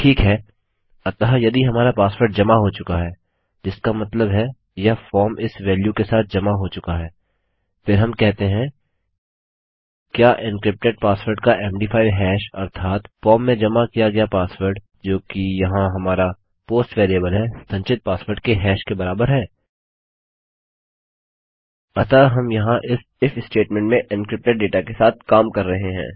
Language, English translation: Hindi, Okay so if our password has been submitted,which means this form has been submitted with this value then we are saying Does the MD5 hash of the encrypted password that is the password entered in the form, which is our post variable over here, equal the hash of the password stored